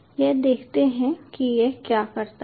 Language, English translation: Hindi, so let see what it does